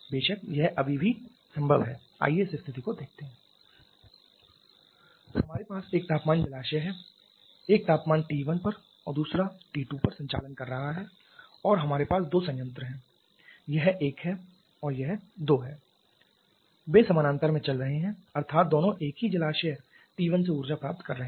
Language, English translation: Hindi, We have a temperature reserver operating at temperature T 1 another operating at temperature T 2 and we have two plants this is 1 this is 2 they are operating in parallel that means both are receiving energy from the same reserver T 1